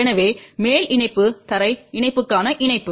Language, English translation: Tamil, So, the top connection is connection to the ground connection